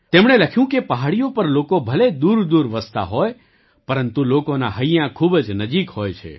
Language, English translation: Gujarati, He wrote that the settlements on the mountains might be far apart, but the hearts of the people are very close to each other